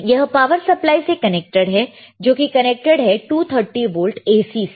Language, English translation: Hindi, This is connected to the power supply, this is connected to the 230 volts AC, all right